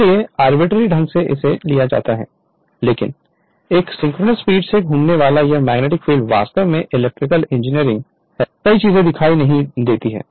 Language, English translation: Hindi, So, arbitrarily it is taken right, but this magnetic field rotating at a synchronous speed ns actually electrical engineering many things are not visible right